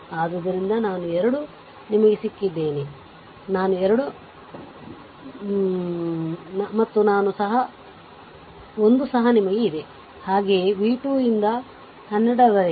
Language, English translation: Kannada, So, i 2 you have got, i 3 you have got, and i 1 also you have, right so, v 2 by 12